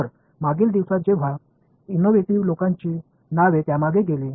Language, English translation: Marathi, So, back in the day when it was innovative people’s names went behind it